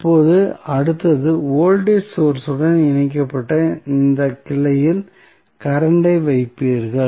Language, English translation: Tamil, Now, next is that, when you will place the current in that branch where voltage source was connected